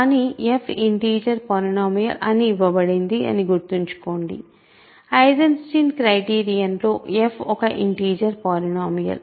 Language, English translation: Telugu, But remember f is a, f is an integer polynomial that is given to us, in the Eisenstein criterion f is an integer polynomial